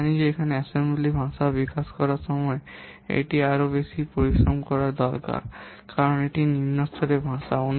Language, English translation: Bengali, We know that here what it takes more effort when we are developing in the assembly language because it is a low level language